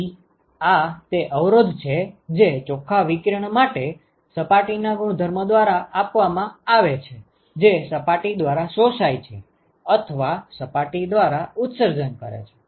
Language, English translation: Gujarati, So, this is the resistance that is offered by the properties of the surface for net radiation that is either absorbed by the surface or emitted by the surface